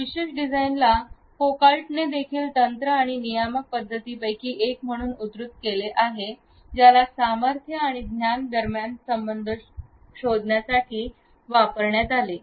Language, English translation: Marathi, This particular design was also cited by Foucault as one of the techniques and regulatory modes of power and knowledge dyad to explore the relationship between them